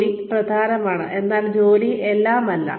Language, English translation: Malayalam, Work is important, but work is not everything